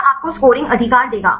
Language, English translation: Hindi, This will give you the scoring right